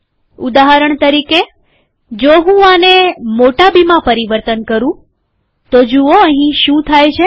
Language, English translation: Gujarati, For example if I change this to capital B, See what happens here